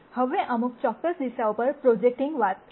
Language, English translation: Gujarati, Now, we talked about projecting on to certain number of directions